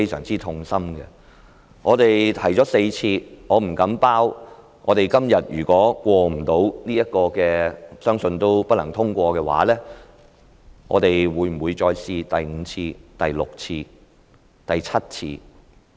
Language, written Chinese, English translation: Cantonese, 這議案我們已提出4次，如果今天這議案不獲通過——相信也不會獲得通過——我不能保證我們會不會再嘗試第五次、第六次、第七次。, We have proposed this motion four times and if it should be negatived today―I think it is going to be negatived―I cannot say for sure whether we will continue to make a fifth sixth or seventh attempt